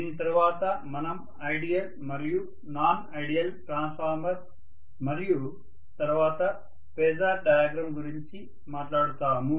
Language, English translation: Telugu, After this we will talk about ideal and non ideal transformer and then the phasor diagram